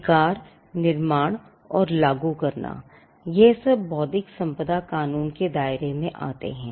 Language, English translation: Hindi, Rights creation and enforcement is the domain of intellectual property law